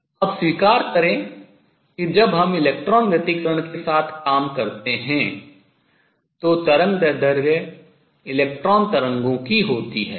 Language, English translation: Hindi, Accept that now, when we work with electron interference wavelength is that of electron waves